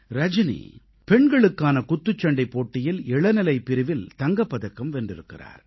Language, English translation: Tamil, Rajani has won a gold medal at the Junior Women's Boxing Championship